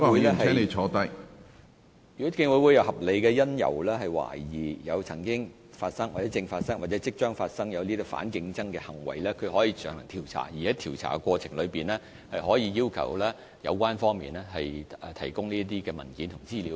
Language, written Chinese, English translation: Cantonese, 如果競委會有合理理由，懷疑反競爭行為曾經發生、正在發生或即將發生，可以進行調查，而在調查過程中，競委會可要求提供相關文件和資料。, If the Commission has reasonable cause to suspect that anti - competitive conduct has taken place is taking place or is about to take place it may conduct an investigation . In the course of conducting an investigation the Commission may request that the relevant documents and information be provided